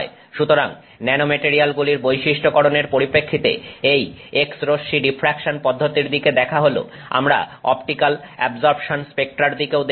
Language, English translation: Bengali, So, having looked at the x ray diffraction process from the perspective of characterizing nanomaterials, we will also look at optical absorption spectra